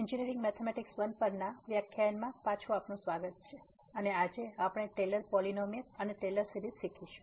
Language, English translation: Gujarati, Welcome back to the lectures on Engineering Mathematics I and today’s we will learn Taylor’s Polynomial and Taylor Series